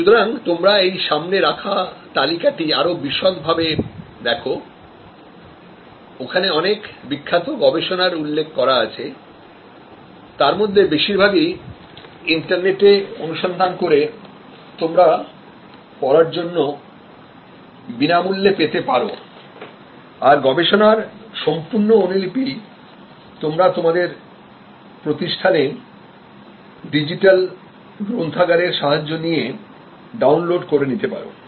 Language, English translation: Bengali, So, you can look at this chart more in detail, there are number of famous research references are given here, lot of these are available for free for you to read on the net through the various search mechanisms and full complete copy can be downloaded through your digital library system, at your institute